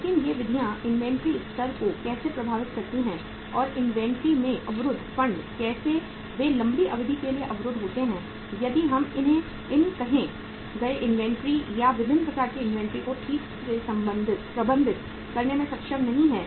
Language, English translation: Hindi, But how these methods impact the inventory level and the funds blocked in the inventory how they are blocked for longer duration if we are not able to manage these uh say inventories or the different type of inventories properly